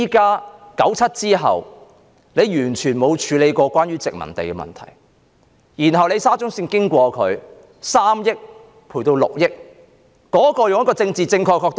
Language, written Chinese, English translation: Cantonese, 在1997年後，政府完全沒有處理關於殖民地的問題，後來因為沙中綫要經過那地點，賠償金額便由3億元升至6億元。, After 1997 the Government has not dealt with these colonial problems . Subsequently because of the route of the Shatin to Central Link which will pass through that location the club will be reprovisioned and the cost of which has escalated from 300 million to 600 million